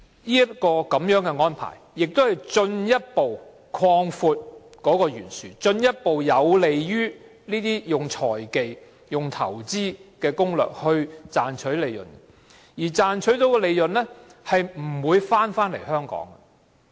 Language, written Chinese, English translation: Cantonese, 這個安排亦進一步擴闊貧富懸殊，有利於這些用財技或投資攻略的企業賺取利潤，但它們賺到的利潤不會回到香港。, This arrangement also further widens the wealth disparity and enables enterprises to use financial techniques or investment strategies to make profits but the profits will not be ploughed back to Hong Kong